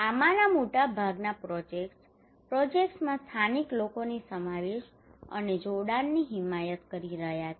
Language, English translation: Gujarati, Most of these projects are advocating the incorporations and involvement of the local people into the projects